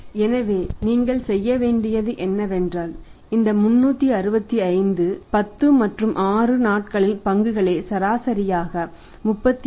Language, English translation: Tamil, So, what have to do is that you have to divide this 365 by 10 and 6 days of stock holding 36